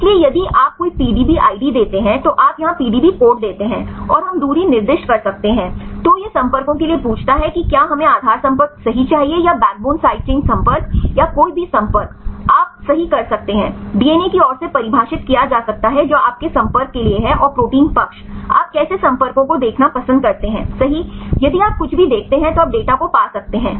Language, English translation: Hindi, So, if you give any PDB id is you give the PDB code here, and we can the specify the distance, then it ask for the contacts whether we need the base contacts right or the backbone side chain contacts or any contacts right you can you can define from the DNA side which is the contacts you require right and the protein side which contacts like you like to see right then if you see anything then you can get the data right